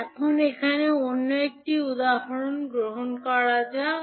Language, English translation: Bengali, Now, let us take another example here